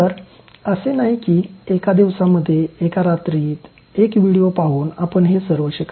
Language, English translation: Marathi, So, it is not like that one day, one night by watching one video you learn all of them